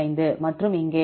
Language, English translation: Tamil, 5 and here